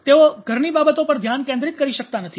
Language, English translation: Gujarati, They are not able to focus on their household affairs